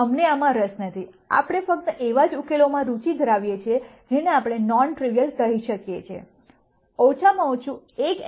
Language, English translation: Gujarati, We are not interested in this, we are only interested in solutions that we call as non trivial, at least one of the xs will have to be non 0